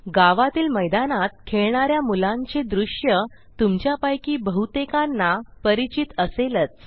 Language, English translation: Marathi, Many of you are familiar with this scene in your village a group of children playing in an open area